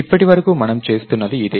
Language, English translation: Telugu, This is what we have been doing so far right